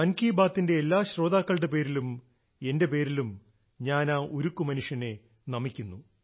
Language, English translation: Malayalam, On behalf of every listener of Mann ki Baat…and from myself…I bow to the Lauh Purush, the Iron Man